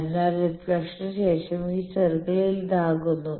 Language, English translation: Malayalam, So, this circle after reflection becomes this